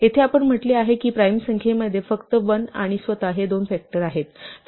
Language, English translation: Marathi, Here, we said that a prime number has only two factors 1 and itself